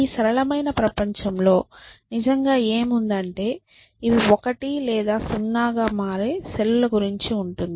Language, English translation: Telugu, What is really out there is that these are the cells which become 1 or 0 essentially